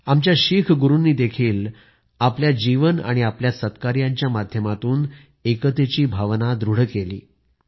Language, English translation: Marathi, Our Sikh Gurus too have enriched the spirit of unity through their lives and noble deeds